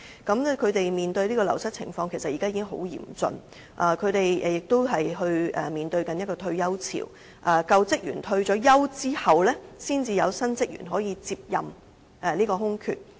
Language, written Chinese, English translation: Cantonese, 他們面對的流失情況，其實已經很嚴峻；他們亦面對退休潮，在舊職員退休後，才有新職員填補空缺。, They are also plagued by a retirement wave . A new recruit can only fill a vacancy after an existing staff member has retired